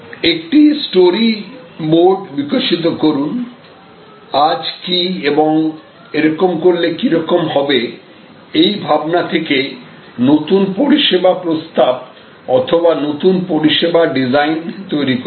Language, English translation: Bengali, And then, develop a story board that what is today and what if and resulting into the new service proposal or new service design